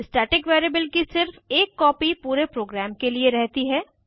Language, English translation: Hindi, Only one copy of the static variable exists for the whole program